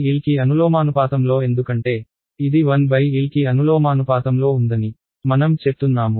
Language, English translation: Telugu, Proportional to 1 by L why because, so I say that this is proportional to 1 by L